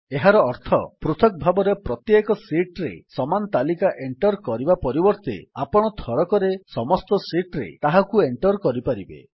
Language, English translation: Odia, This means, instead of entering the same list on each sheet individually, you can enter it in all the sheets at once